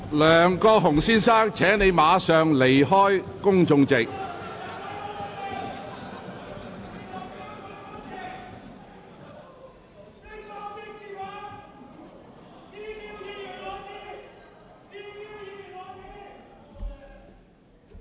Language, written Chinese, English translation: Cantonese, 梁國雄先生，請立即離開公眾席。, Mr LEUNG Kwok - hung please leave the public gallery immediately